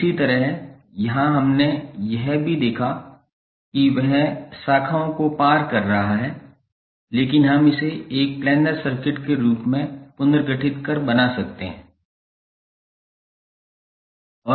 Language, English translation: Hindi, Similarly here also we saw that it is crossing the branches but we can reorganize and make it as a planar circuit